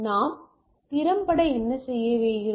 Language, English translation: Tamil, So, what we do effectively